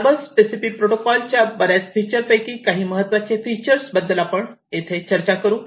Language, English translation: Marathi, So, here are some of the salient features of the Modbus TCP protocol